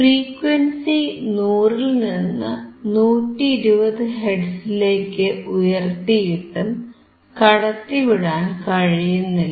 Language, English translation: Malayalam, Now we are increasing to 100 hertz, let us increase to 120 , still we cannot see